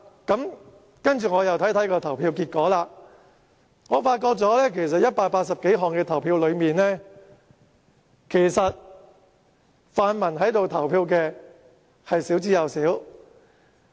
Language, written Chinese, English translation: Cantonese, 後來我看看投票結果，發現在表決180多項修正案時，留在會議廳投票的泛民同事少之又少。, But when I looked at the voting results afterwards I found that only a handful of pan - democratic Members stayed in the Chamber to cast their votes on the 180 - odd amendments